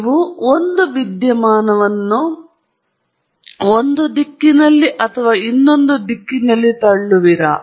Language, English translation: Kannada, Can you push the phenomena in one direction or the other direction and so on